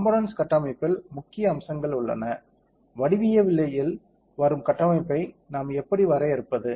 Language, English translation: Tamil, In the component there are main things one is the structure how do we define the structure that comes in the geometry, ok